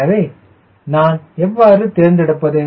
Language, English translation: Tamil, so then how do i select